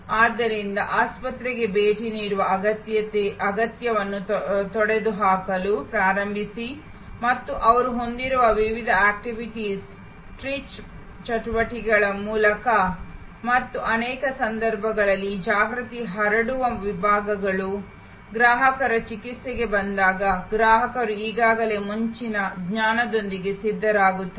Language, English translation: Kannada, So, the start to eliminate the need to visit the hospital and when through the various outreach activities they have and this awareness spreading sections in many cases, when the customer arrives for the treatment, the customer as already come prepared with fore knowledge